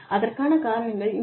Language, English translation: Tamil, Here are the reasons